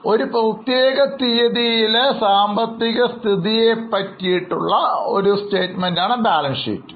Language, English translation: Malayalam, So, balance sheet is a statement which gives the financial position as at a particular date